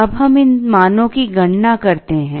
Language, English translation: Hindi, We now compute these values